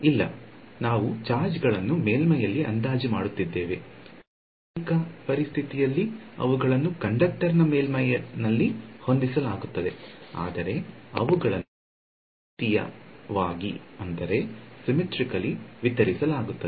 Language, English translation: Kannada, No, we are approximating the charges to be a on the surface, in a realistic situation they will be smeared all over the surface of the conductor right, but they will be symmetrically distributed